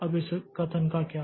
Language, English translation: Hindi, Now what about this statement